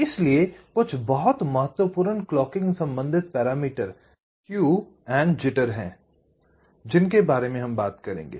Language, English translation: Hindi, so there are a few very important clocking related parameters that we shall be talking about, namely skew and jitter